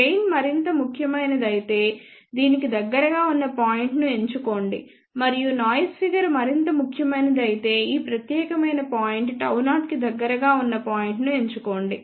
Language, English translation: Telugu, If gain is more important choose a point which is closer to other and if noise figure is more important then choose a point closer to this particular gamma 0